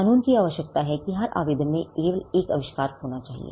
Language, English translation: Hindi, The law requires that every application should have only one invention